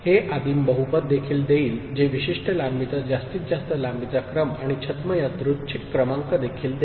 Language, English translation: Marathi, That will also give a primitive polynomial that will also give a maximal length sequence and pseudo random number getting generated of the particular length